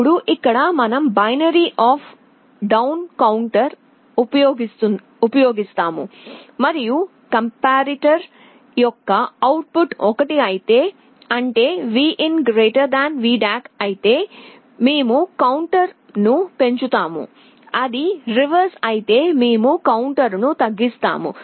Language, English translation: Telugu, Now here we use a binary up down counter, and if the output of the comparator is 1; that means, Vin is greater than VDAC we increment the counter, if it is reverse we decrement the counter